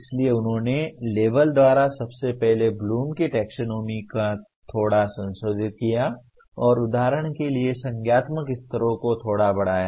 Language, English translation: Hindi, So they have slightly revised the Bloom’s taxonomy first of all by label and slightly reordered the cognitive levels for example